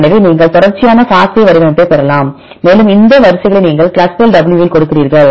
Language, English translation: Tamil, So, you can get the sequence FASTA format and you give these sequences in ClustalW